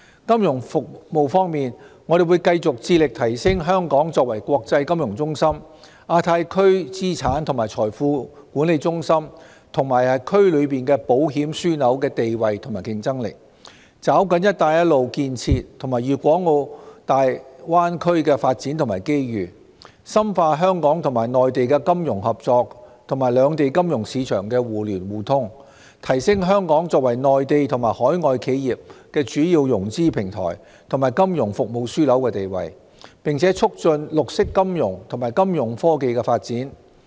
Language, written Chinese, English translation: Cantonese, 金融服務方面，我們會繼續致力提升香港作為國際金融中心、亞太區資產及財富管理中心，以及區內保險樞紐的地位和競爭力，抓緊"一帶一路"建設和粵港澳大灣區的發展機遇，深化香港與內地的金融合作及兩地金融市場的互聯互通，提升香港作為內地及海外企業的主要融資平台及金融服務樞紐的地位，並促進綠色金融及金融科技的發展。, As regards financial services we remain committed to enhancing Hong Kongs position and competitiveness as an international financial centre an asset and wealth management centre in the Asia - Pacific Region as well as an insurance hub in the region . We will seize the development opportunities brought forth by the Belt and Road construction and in the Greater Bay Area deepen Hong Kongs financial cooperation with the Mainland and mutual financial market access between the two places enhance Hong Kongs position as a major financing platform as well as a financial services hub for Mainland and overseas enterprises and promote the development of green finance and financial technology